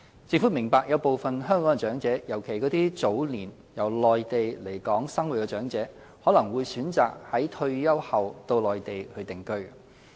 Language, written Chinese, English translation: Cantonese, 政府明白有部分香港長者，尤其那些早年由內地來港生活的長者，可能會選擇在退休後到內地定居。, The Government appreciates that some Hong Kong elderly persons especially those who came to Hong Kong from the Mainland at a younger age may choose to reside on the Mainland after retirement